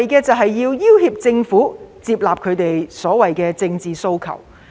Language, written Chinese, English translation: Cantonese, 目的是要脅迫政府接納其政治訴求。, It seeks to coerce the Government into accepting their political demands